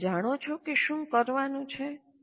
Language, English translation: Gujarati, Do you know what is to be done